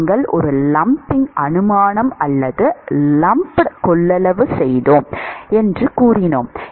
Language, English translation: Tamil, We said that we made a lumping assumption or lumped capacitance